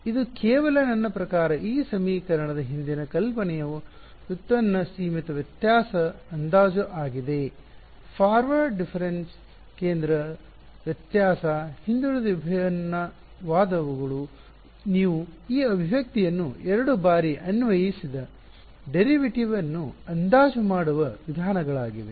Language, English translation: Kannada, This is just by a I mean the idea behind this equation is finite difference approximation of a derivative; forward difference, central difference, backward different those are ways of approximating a derivative you applied two times you get this expression ok